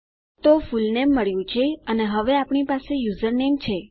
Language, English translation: Gujarati, So, we have got fullname and now we have username